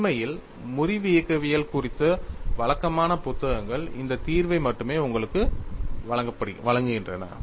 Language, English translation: Tamil, In fact, conventional books on fracture mechanics provide you only this solution